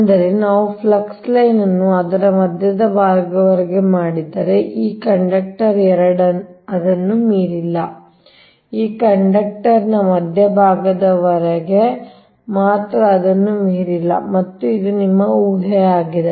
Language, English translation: Kannada, that means, if we make the flux line up to the centre of that, this conductor two, not beyond that, only up to the centre of this conductor, not beyond that